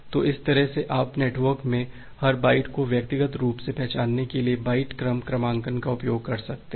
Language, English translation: Hindi, So, that way you can use the byte sequence numbering to individually identify every bytes in the networks